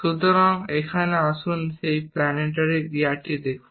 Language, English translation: Bengali, So, here let us look at that planetary gear